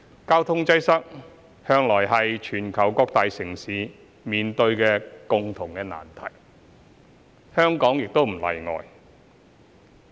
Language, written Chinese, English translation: Cantonese, 交通擠塞向來是全球各個大城市共同面對的難題，香港亦不例外。, Traffic congestion has always been a common problem faced by various major cities around the world and Hong Kong is no exception